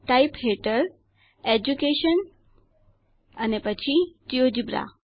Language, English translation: Gujarati, Under Type, Education and Geogebra